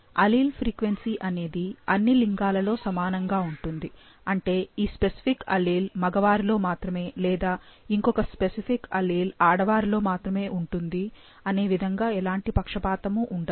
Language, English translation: Telugu, Allele frequency are equal in the sexes that is there are no sex biasness that this particular allele will only be in male or this particular allele will only be in female